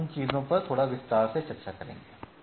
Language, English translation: Hindi, We will discuss those things in little detail